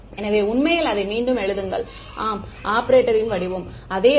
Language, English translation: Tamil, So, actually write it again yeah the form of the operator is the same